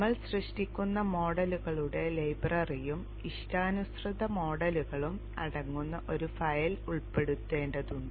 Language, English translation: Malayalam, We need to include a file which contains the library of models, custom model that we would be creating